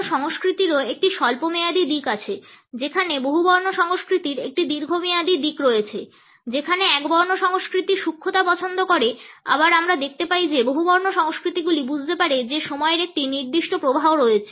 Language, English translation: Bengali, Monochronic culture also has a short term orientation in relation with a polychronic which is a long term orientation whereas, monochronic prefers precision we find that the polychronic cultures understand the time has a particular flow